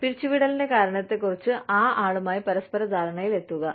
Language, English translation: Malayalam, To one, come to a mutual understanding, on the reason for termination